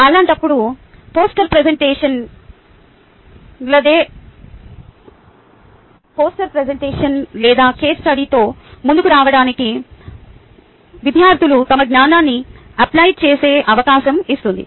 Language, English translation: Telugu, in that case, that gives us opportunity, where students are going to apply their knowledge, to come up with a poster presentation or a case study